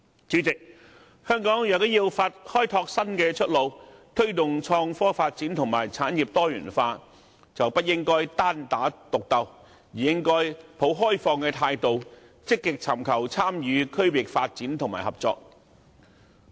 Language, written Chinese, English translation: Cantonese, 主席，香港如要開拓新出路，推動創科發展和產業多元化，便不應單打獨鬥，而應抱開放態度，積極尋求參與區域發展和合作。, Chairman if Hong Kong is to explore a new way out it must promote innovation and technology development and industrial diversification . Instead of engaging in a lone battle it should adopt an open - minded attitude in proactively seeking opportunities to engage in regional development and collaboration